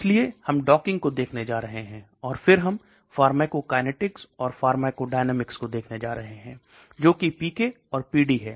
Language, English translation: Hindi, So we are going to look at docking, and then we are going to look at pharmacokinetics and pharmacodynamics that PK and PD okay whatever I said